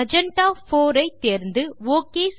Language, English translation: Tamil, Choose Magenta 4 and click OK